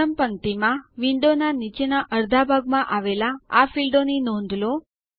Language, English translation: Gujarati, Notice these fields in the bottom half of the window in the first row